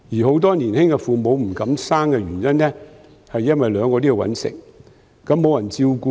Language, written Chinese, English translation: Cantonese, 很多年輕父母不敢生育，因為兩人也要謀生，沒有人照顧子女。, Many young couples do not dare giving birth because both husband and wife need to work for a living and there will be no one to take care of their children